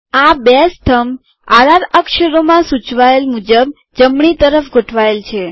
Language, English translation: Gujarati, The two columns are right aligned as indicated by the r r character